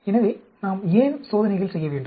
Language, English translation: Tamil, So, why do we need to do experiments